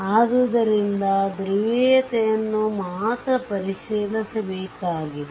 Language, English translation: Kannada, So, only polarity you have to check